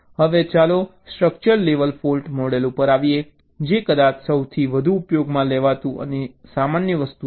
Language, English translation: Gujarati, ok, now lets come to the structural level fault model, which is perhaps the most widely used and common